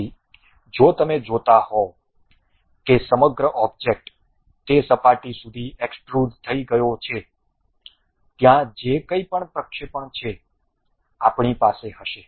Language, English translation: Gujarati, So, if you are seeing that entire object is extruded up to that surface; whatever that projection is there, we will have it